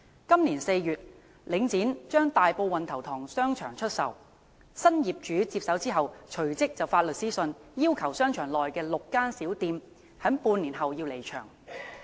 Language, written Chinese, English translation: Cantonese, 今年4月，領展將大埔運頭塘商場出售，新業主接手後隨即發出律師信，要求商場內6間小店在半年後離場。, This April Link REIT sold Wan Tau Tong Shopping Centre in Tai Po . Soon after the takeover the new landlord issued a lawyers letter to six small shops in the shopping centre and required them to move out half a year later